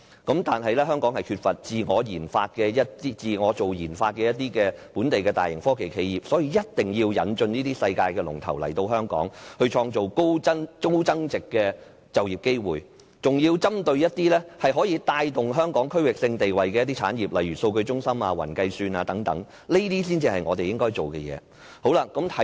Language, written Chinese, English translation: Cantonese, 但是，香港缺乏自我研發的本地大型科技企業，所以一定要引進這些世界龍頭來香港，創造高增值的就業機會，還要針對一些可以帶動香港區域性地位的產業，例如數據中心/雲計算等，這些才是我們應該做的工作。, But since large technology enterprises capable of indigenous RD are scarce in Hong Kong we must invite leading technology enterprises in the world to create high value - added employment opportunities here in Hong Kong . In particular we need their support in boosting the development of those industries that can raise Hong Kongs status in the region such as the data bank industry and cloud computing . These are what we should do